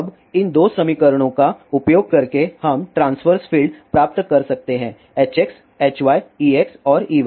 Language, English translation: Hindi, Now, by using these two equations we can derive the transverse fields H x, H y, E x and E y